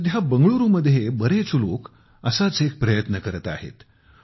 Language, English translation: Marathi, Nowadays, many people are making such an effort in Bengaluru